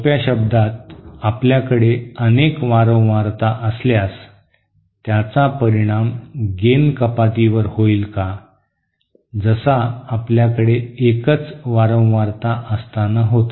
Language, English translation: Marathi, In other words, if we have multiple frequencies present, will that also have an effect on gain reduction like we had at a single frequently